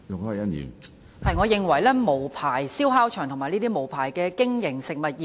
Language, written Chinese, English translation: Cantonese, 我認為應嚴厲打擊無牌燒烤場及這些無牌經營的食物業。, In my view the Government should rigorously combat unlicensed barbecue sites and food businesses operating without a licence